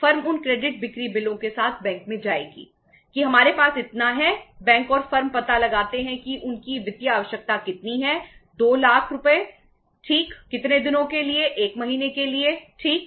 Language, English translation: Hindi, The firm will go with those credit sale bills to the bank that we have this much say we our bank will firm will work out that their financial requirement is how much, 2 lakh rupees right for a period of how many days, 1 month right